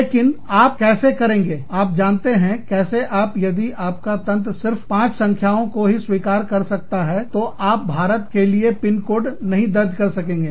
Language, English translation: Hindi, But, how do you, you know, how does, if your system can only accept five numbers, then you cannot enter in, a zip code for India